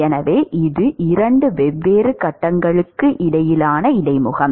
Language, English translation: Tamil, So, this is an interface between two different phases